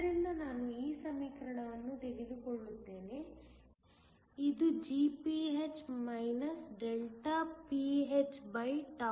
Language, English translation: Kannada, So, I will just take this equation, is Gph pnn